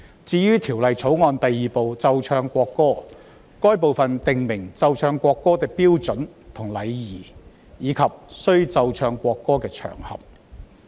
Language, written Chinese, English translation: Cantonese, 至於《條例草案》第2部奏唱國歌，該部訂明奏唱國歌的標準和禮儀，以及須奏唱國歌的場合。, Part 2 of the Bill―Playing and Singing of National Anthem stipulates the standard and etiquette for playing and singing the national anthem as well as the occasions on which the national anthem is played and sung